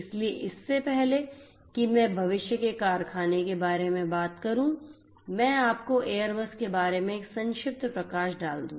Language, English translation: Hindi, So, before I talk about the factory of the future let me give you a brief highlight about Airbus